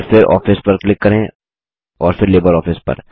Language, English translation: Hindi, And then click on Office and then on LibreOffice